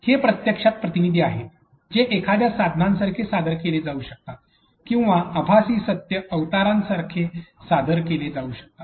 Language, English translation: Marathi, These are actually agents that can be presented like a tool or that can be presented like virtual reality avatars